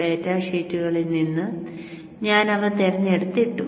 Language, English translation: Malayalam, So from the data sheets I have picked them and then put it here